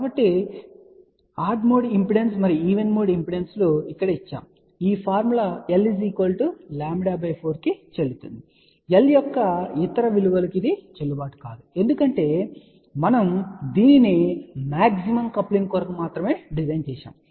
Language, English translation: Telugu, So, odd mode impedance and even mode impedances are given by this now this formula is valid for l equal to lambda by 4 not valid for any other value of l ok , because we had designing it for maximum coupling